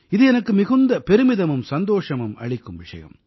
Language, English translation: Tamil, For me, it's a matter of deep pride; it's a matter of joy